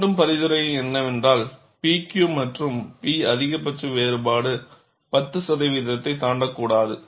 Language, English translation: Tamil, There again, the recommendation is P Q and P max difference should not exceed 10 percent